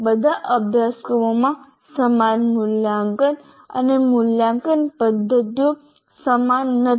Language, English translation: Gujarati, All courses have similar assessment and evaluation mechanism, not identical but similar